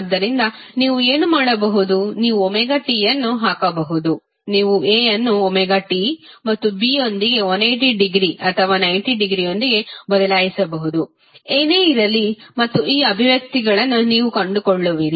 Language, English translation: Kannada, So, what you can do you can put omega t, you can replace A with omega t and B with 180 degree or 90 degree whatever the case would be